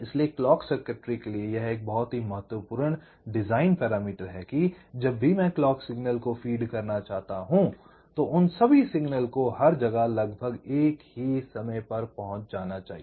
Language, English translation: Hindi, so this is also one very important design parameter for clock circuitry: that whenever i want to, whenever i want to feed the clock signal, they should all reach there almost at the same time